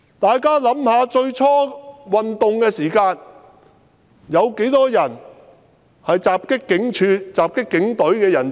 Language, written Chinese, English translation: Cantonese, 大家想一想，運動初期，有多少人襲擊警署、襲擊警務人員？, Come to think about it . In the beginning of the movement how many people attacked police stations and assaulted police officers?